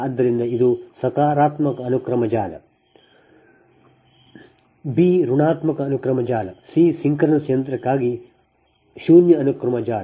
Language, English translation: Kannada, b is negative sequence network and c is zero sequence network for synchronous machine